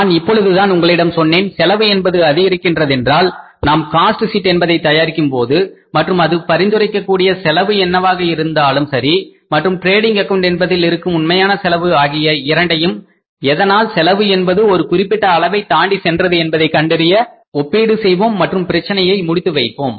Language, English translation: Tamil, Say as I just told you that if the cost increases when we are preparing the cost sheet and whatever the cost is suggested by the cost sheet and what is the actual cost available with this from the profit and loss account, trading account actually then we will have to make a comparison that why the cost is going beyond the level where which we have calculated in the cost sheet and problem solving